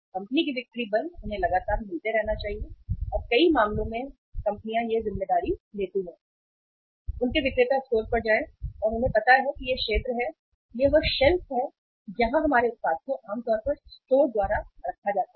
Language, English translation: Hindi, Company’s sales force they should continuously keep on visiting and in many a cases companies take the responsibility that companies take the responsibility that their salesperson visit the stores and they know this is the area, this is the shelf where our product is normally kept by the store